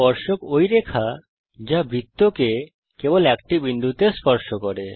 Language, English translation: Bengali, Tangent is a line that touches a circle at only one point